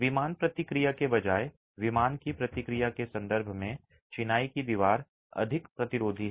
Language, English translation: Hindi, The masonry wall is more resistant in terms of in plain response rather than out of plane response